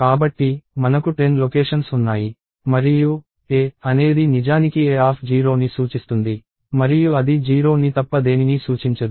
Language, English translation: Telugu, So, we have 10 locations and ‘a’ is actually pointing to a of 0, technically and it cannot point at anything other than a of 0